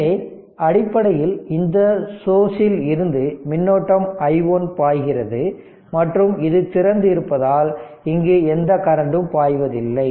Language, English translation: Tamil, So, basically from this source the current i 1 is flowing this current this is open nothing is going